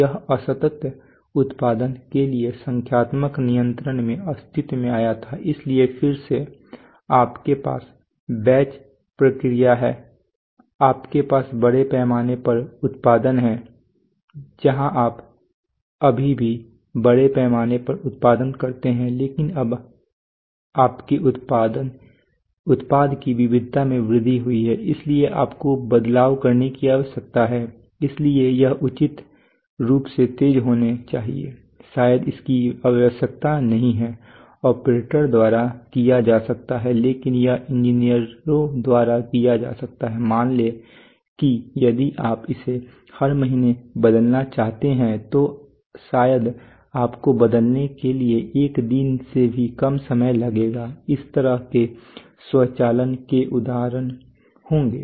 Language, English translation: Hindi, So that is so it has changeable sequence of operation and it has electronic controls so that is why it came first it came into existence in numerical controls for discrete production so again you have batch process you have mass production where you still have mass production but you but now your product variety has increased so you need to make changes so it should be reasonably fast probably need not be done by operators but it can be done by engineers within let us say if you want to change it every month then probably for changing you need to take less than a day that kind of automation so examples will be